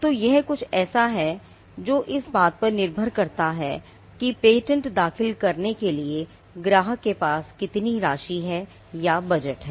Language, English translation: Hindi, So, that is something which will depend on the amount or the budget the client has for filing patents